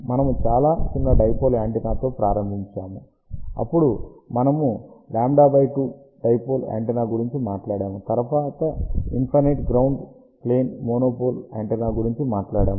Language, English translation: Telugu, We started with very small dipole antenna, then we talked about lambda by 2 dipole antenna then we talked about monopole antenna on infinite ground plane